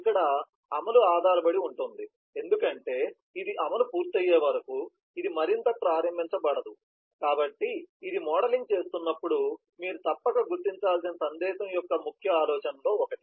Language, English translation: Telugu, here the execution is dependent because till it completes the execution, this cannot start further, so this is one of the key ideas, key properties of a message that you must identify when you are modelling